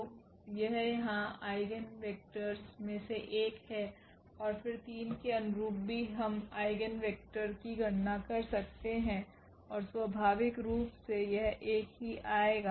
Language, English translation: Hindi, So, this is one of the eigenvectors here and then corresponding to 3 also we can compute the eigenvector and that is naturally it will come 1 only